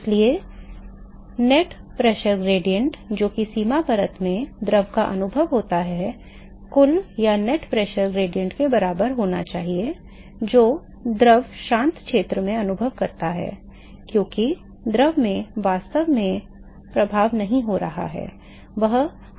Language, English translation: Hindi, So, therefore, the net pressure gradient that the fluid experiences in the boundary layer should be equal to the net pressure gradient that the fluid experiences in the quiescent region because the fluid is not being force too at all its actually at rest and